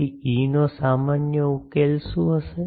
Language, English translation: Gujarati, So, the what will be the general solution of E